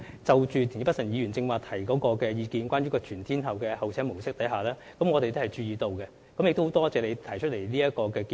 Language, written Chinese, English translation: Cantonese, 就田北辰議員剛才提出的全天候候車模式，我們亦有注意到，並很感謝你提出這個建議。, We are also aware of the all - weather mode of bus waiting facility mentioned by Mr Michael TIEN just now and we thank him very much for putting forward this proposal